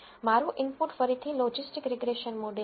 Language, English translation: Gujarati, My input again is the logistic regression model